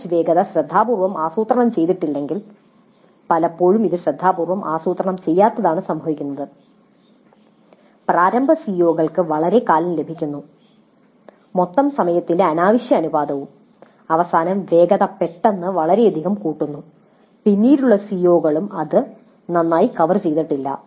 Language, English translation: Malayalam, These two are related if the pace of coverage is not planned carefully and often it does happen that it is not planned carefully then initial COs gets fairly long time, fairly undue proportion of the total time and towards the end the pace suddenly picks up tremendously and the later COs are not covered that well